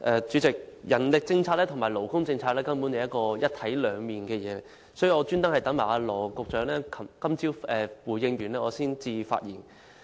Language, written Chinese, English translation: Cantonese, 主席，人力政策和勞工政策根本就像一體兩面，所以我特意待羅局長今早回應後才發言。, President the manpower and labour policies are like two sides of a coin . Therefore I had deliberately waited for Secretary Dr LAW Chi - kwong to give his response this morning before I delivered my speech